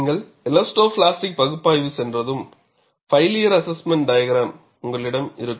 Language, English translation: Tamil, Once you go to elastoplastic analysis, you will have failure assessment diagram